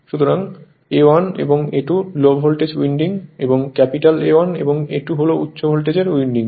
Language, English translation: Bengali, So, a 1 a 2 Low Voltage winding and capital A 1 capital A 2 is High Voltage winding